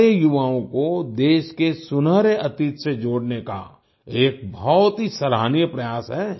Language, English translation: Hindi, This is a very commendable effort to connect our youth with the golden past of the country